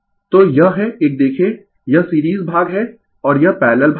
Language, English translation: Hindi, So, this is a see this is series part and this 2 are parallel part